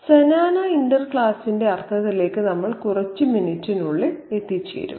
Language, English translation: Malayalam, We'll come to the meaning of the Xenana interclass in a couple of minutes